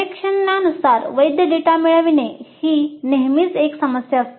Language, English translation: Marathi, As I mentioned, getting valid data is a problem